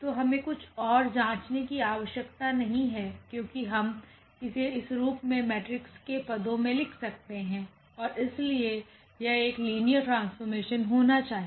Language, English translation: Hindi, So, we do not have to check anything else because we can write down this as this in terms of the matrix and therefore, this has to be a linear maps